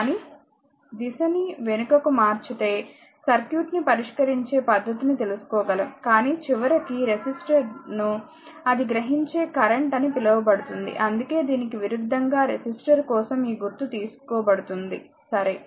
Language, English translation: Telugu, But if we reverse the direction also method solving circuit one can do it, but ultimately we will find resistor actually your what you call that absorbing power because current, that is why this conversely is taken this symbol is for resistor, right